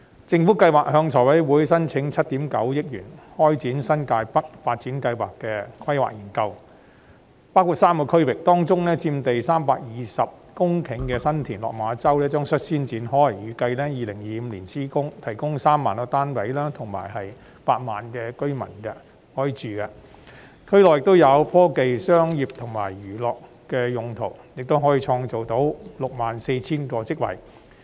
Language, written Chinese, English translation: Cantonese, 政府計劃向立法會財務委員會申請7億 9,000 萬元開展新界北發展項目的規劃研究，涵蓋3個區域，其中有關佔地320公頃的新田/落馬洲發展樞紐的工作將率先展開，預計2025年施工，可提供3萬個單位及容納8萬名居民入住，而區內亦有科技、商業及娛樂用地，可創造 64,000 個職位。, The Government intends to apply to the Finance Committee FC of the Legislative Council for a funding of 790 million to commence the planning study on the New Territories North development project that covers three areas among which the work on the 320 - hectare San TinLok Ma Chau Development Node will commence first . The construction work is expected to commence in 2025 providing 30 000 residential flats that can accommodate 80 000 residents . The Development Node also reserves land for technology business and entertainment uses which can generate 64 000 job opportunities